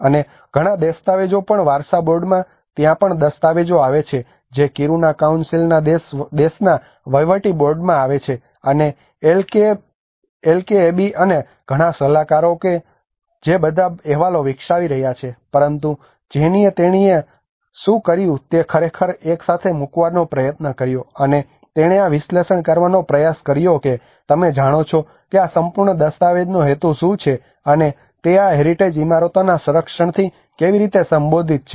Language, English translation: Gujarati, And a lot of documents a lot of heritage board there is lot of documents coming in Kiruna councils country administrative board, and LKAB and a lot of consultants which are developing all the reports but then Jennie what she did was she tried to really put together and she tried to analyse you know what is the purpose of this whole document and how are they related to the conservation of these heritage buildings